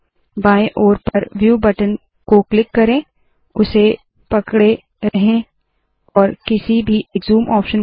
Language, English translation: Hindi, Click the View button on the top left hand side, hold and choose one of the zoom options